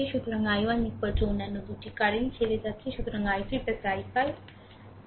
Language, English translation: Bengali, So, i 1 is equal to other 2 currents are leaving; so, i 3 plus i 5, right